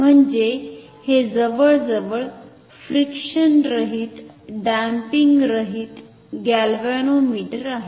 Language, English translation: Marathi, It is almost no I mean it is a frictionless damping less galvanometer